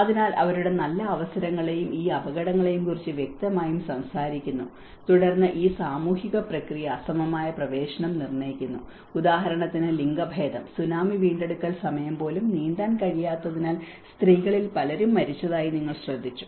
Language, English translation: Malayalam, So, there are obviously talks about their good opportunities and the hazards, and then this social process determines unequal access like for example even the gender and Tsunami recovery time you have noticed that many of the women have died because they are unable to swim